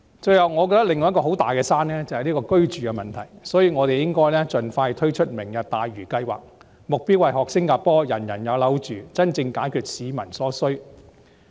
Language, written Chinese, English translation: Cantonese, 最後，我認為另一座巨大的"山"是居住問題，所以我們應該盡快推出"明日大嶼"計劃，目標是學習新加坡"人人有樓住"，真正解決市民所需。, Lastly I hold that another huge mountain is the housing problem . For this reason we should expeditiously launch the Lantau Tomorrow programme . The aim is to provide housing for everyone like Singapore does thus genuinely meeting the peoples need